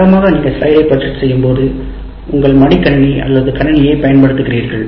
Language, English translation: Tamil, Anyway, when you are normally when you are projecting on the slide, you are projecting the material from using your laptop or a PC